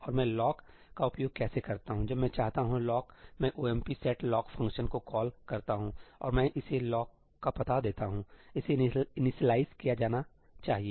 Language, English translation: Hindi, And how do I use the lock when I want the lock I call the ëomp set lockí function and I pass to it the address of the lock; it must be initialized